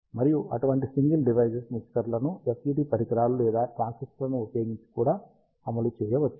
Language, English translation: Telugu, And such a single device mixers can also be implemented using FET devices or transistors